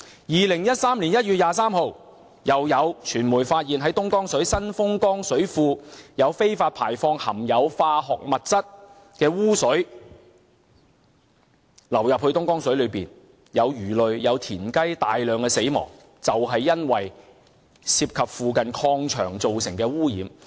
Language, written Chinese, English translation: Cantonese, 2013年1月23日，又有傳媒發現東江水供應源頭之一的新豐江水庫有非法排放含有化學物質的污水流進東江水，導致魚類和青蛙大量死亡，就是因為涉及附近礦場造成的污染。, On 23 January 2013 the media found that one of the water sources of the Dongjiang water the Xinfeng Jiang Reservoir had illegally discharged sewage containing chemical substances into the Dongjiang water which had caused the massive death of frogs and fish . The pollution was caused by the contamination of the nearby mines